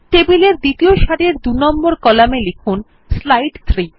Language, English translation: Bengali, In row 2 column 2 of the table, type slide 3